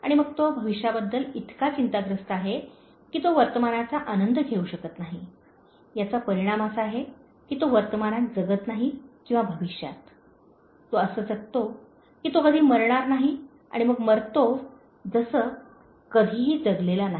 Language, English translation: Marathi, And then he is so anxious about the future that he does not enjoy the present; the result being that he does not live in the present or the future; he lives as if he is never going to die, and then dies having never really lived